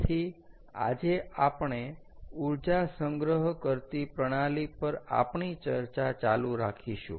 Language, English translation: Gujarati, so today we will continue our discussion on energy storage, ah systems